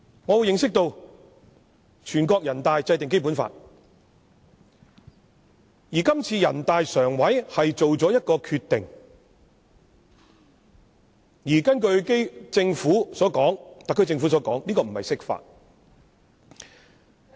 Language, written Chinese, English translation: Cantonese, 我認識到全國人大制定《基本法》，而這次人大常委會作出決定，根據特區政府所說，這不是釋法。, I learn that the Basic Law was drawn up by NPC and this decision made by NPCSC according to the Government of the Special Administrative Region SAR is not an interpretation of the law